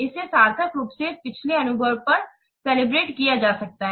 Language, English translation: Hindi, It can be meaningfully calibrated to previous experience